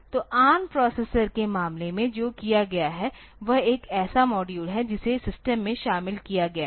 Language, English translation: Hindi, So, in case of ARM processor what has been done is one such module has been incorporated into the system